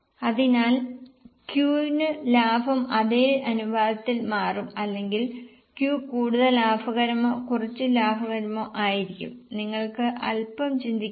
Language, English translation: Malayalam, So, for Q also the profit will change in the same proportion or Q will be more profitable or less profitable